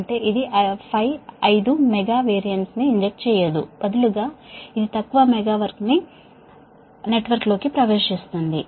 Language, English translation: Telugu, that means it will not inject five megavar as are, it will inject less megavar into the netvar, right